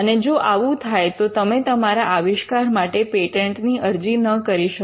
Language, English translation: Gujarati, And if it gets killed then you cannot file a patent for your invention